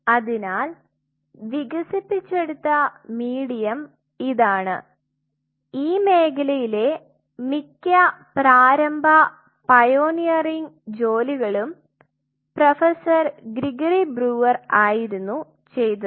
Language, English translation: Malayalam, So, this is the medium which was developed mostly in this field you will see most of the work very initial pioneering work were done by Professor Gregory brewer